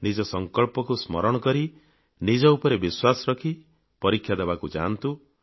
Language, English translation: Odia, Keeping your resolve in mind, with confidence in yourself, set out for your exams